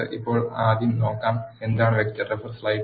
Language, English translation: Malayalam, Let us now first see, what is a vector